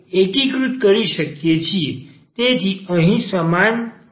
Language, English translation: Gujarati, So, this is equal here